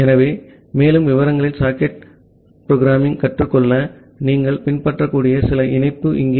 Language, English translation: Tamil, So, here are some link that you can follow to learn socket programming in more details